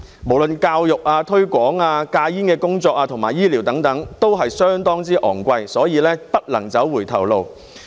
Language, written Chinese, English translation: Cantonese, 不論教育、推廣、戒煙工作和醫療等均相當昂貴，所以不能走回頭路。, Education promotion smoking cessation and medical treatment are all very costly so we cannot go backwards